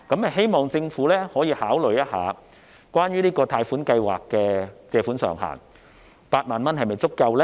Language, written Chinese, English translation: Cantonese, 希望政府可以考慮這個貸款計劃的借款上限 ，8 萬元是否足夠呢？, I hope the Government can consider the loan ceiling of this scheme . Is 80,000 sufficient?